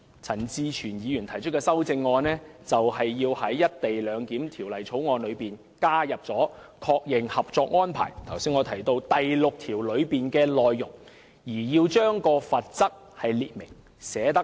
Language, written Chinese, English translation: Cantonese, 陳志全議員提出有關修正案，就是要在《條例草案》確認《合作安排》第六條的內容，並清楚列明罰則。, Mr CHAN Chi - chuens amendment seeks to affirm the content of Article 6 of the Co - operation Arrangement in the Bill and to provide for the penalty